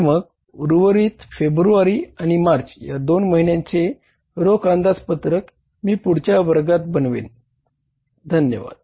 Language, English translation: Marathi, So the remaining two months cash budget, February and March, these two months months cash budget I will prepare in the next class